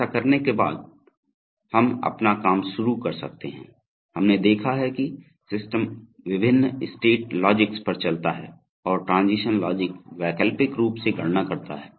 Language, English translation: Hindi, Having done that, we can start developing our, so you see, we have seen that, the, as the system moves on the various state logics and transition logics are alternately computed